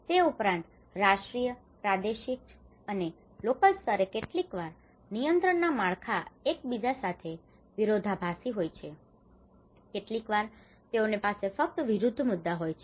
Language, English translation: Gujarati, Also, the national and regional and local level regulatory frameworks sometimes they contradict with each other, sometimes they only have conflicting issues